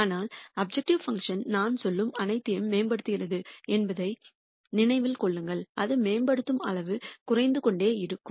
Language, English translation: Tamil, But keep in mind the objective function keeps improving all I am saying is that the amount by which it improves will keep coming down